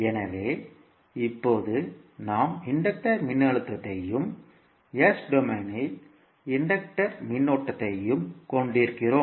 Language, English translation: Tamil, So, now we have the inductor voltage as well as inductor current in s domain